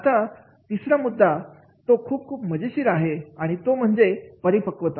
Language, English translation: Marathi, The third point which is very very interesting that is the maturity